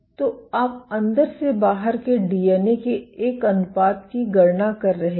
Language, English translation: Hindi, So, you are calculating the inside to outside ratio